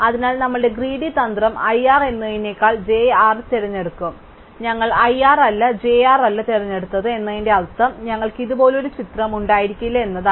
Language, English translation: Malayalam, So, our greedy strategy would pick j r rather than i r, so therefore the fact that we have picked i r and not j r means that we cannot have a picture like this